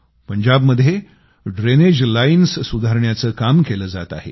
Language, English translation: Marathi, The drainage lines are being fixed in Punjab